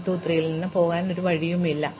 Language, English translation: Malayalam, Because, there is no way now to get from 1 2 3 to this lower thing